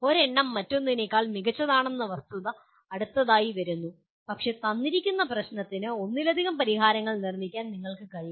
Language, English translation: Malayalam, The fact that one is better than the other comes next but you should be able to produce multiple solutions for a given problem